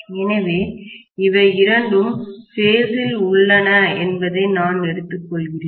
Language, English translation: Tamil, So, I am just taking that both of them are in phase